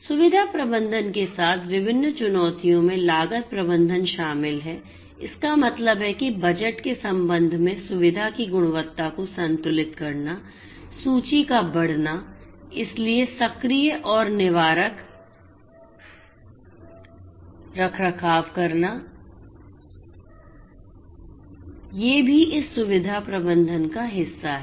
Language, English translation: Hindi, Different challenges with facility management include cost management; that means, balancing the quality of the facility with respect to the budget, aging of the inventory so, taking proactive and preventive maintenance you know these are also part of this facility management